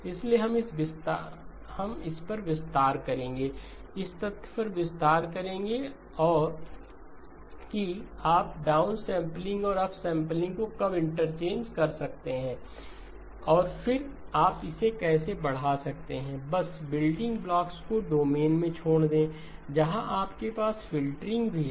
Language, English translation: Hindi, So we will expand on this, expand on the fact that when can you interchange the downsampling and upsampling and then how do you extend it now beyond the just the building blocks into domains where you have filtering also into play